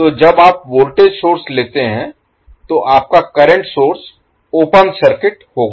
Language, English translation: Hindi, So, when you take the voltage source your current source will be open circuited